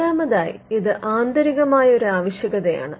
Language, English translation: Malayalam, Fourthly, which is more of an internal requirement